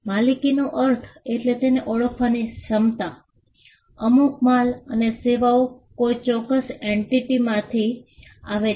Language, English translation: Gujarati, By ownership we mean the ability to identify that, certain goods and services came from a particular entity